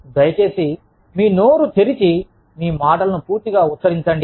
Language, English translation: Telugu, Please, open your mouth, and pronounce your words, completely